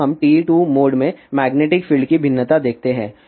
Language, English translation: Hindi, Now, let us see the variation of magnetic field in TE 2 mode